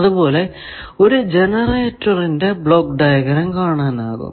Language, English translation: Malayalam, Similarly, you see a block diagram of a generator